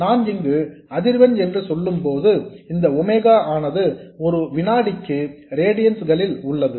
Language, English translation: Tamil, And when I say frequency here, this omega is in radiance per second so please keep that in mind